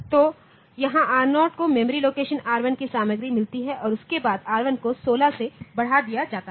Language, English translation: Hindi, So, here R0 gets content of memory location R1 after that R1 is incremented by 16 ok